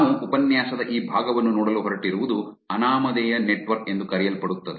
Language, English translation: Kannada, What we are going to look at this part of the lecture is something called anonymous network